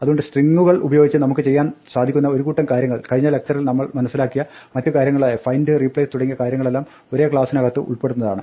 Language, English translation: Malayalam, So the set of things that we can do with strings, last, in the previous lecture we looked at other things we can do string like, find, replace and all this things, so this is like that, it is in the same class